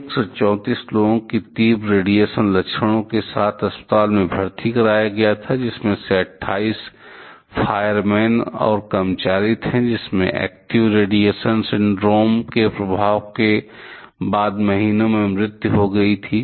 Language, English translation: Hindi, 134 people were hospitalized with acute radiation symptoms, of which 28 which includes fireman and employees died in days to months afterwards from the effects of active radiation syndrome